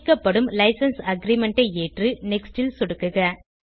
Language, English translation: Tamil, Accept the License Aggrement when prompted and then click on Next